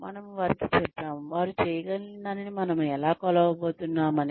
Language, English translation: Telugu, We have also told them, how we are going to measure, what they have been able to do